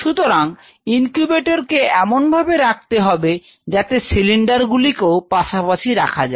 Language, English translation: Bengali, So, adjacent to the incubator you needed to have a cylinder placing the cylinder